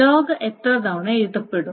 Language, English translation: Malayalam, So how many times will the log be written